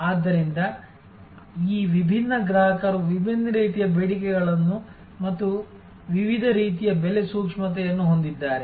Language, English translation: Kannada, So, these different customers have different types of demands and different types of price sensitivity